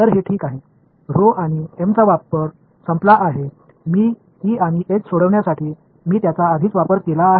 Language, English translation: Marathi, That is ok, rho and m the use is gone I have already used them to solve for E and H